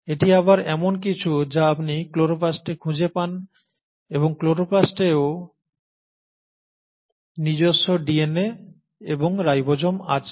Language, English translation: Bengali, So this is something which you again find in chloroplast and chloroplast also has its own DNA and ribosomes